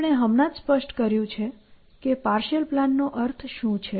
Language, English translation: Gujarati, So, today we have just specified what do we mean by a partial plan